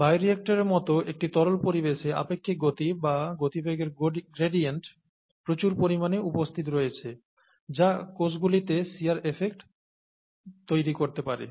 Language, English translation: Bengali, So, in a fluid environment as in a bioreactor relative velocities, or velocity gradients exist in abundance, which can cause, which can cause shear effects on cells